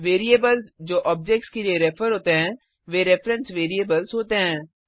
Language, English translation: Hindi, Variables that refer to objects are reference variables